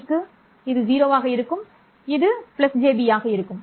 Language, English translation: Tamil, And for minus JB, this is 0 and this is minus J B